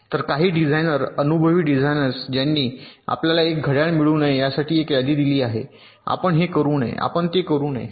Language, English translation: Marathi, so some designers, experienced designers, they have provided a list that you should not get a clock, you should not do this, you should not do that